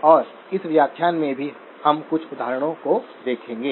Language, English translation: Hindi, And even in this lecture, we will be looking at a few examples